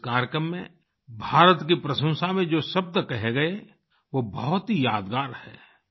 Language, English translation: Hindi, The words that were said in praise of India in this ceremony are indeed very memorable